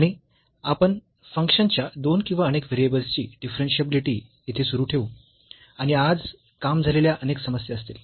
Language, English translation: Marathi, And, again we will continue here the Differentiability of Functions of Two or Several Variables and there will be many worked problems today